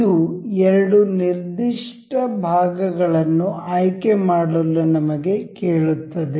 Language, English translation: Kannada, This asks us to select two particular elements